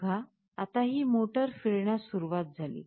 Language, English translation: Marathi, Now see, this motor starts rotating